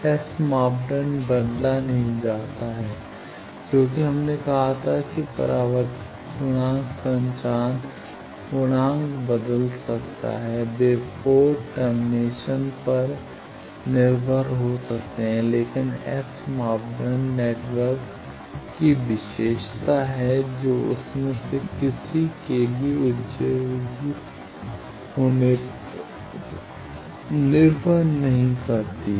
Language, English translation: Hindi, So, S parameters do not depend on port terminations it will change the port terminations S parameter do not change as we said that reflection coefficient may change transmission coefficient may change they depend on port termination, but S parameters are network property they are not depend on excitation of any one